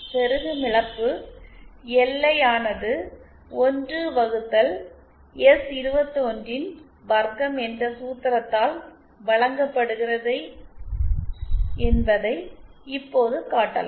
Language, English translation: Tamil, Now it can be shown that the insertion loss, LI equal to 1 upon S21 square is given by this formula